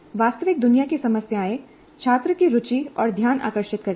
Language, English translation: Hindi, The real old problems capture students' interest and attention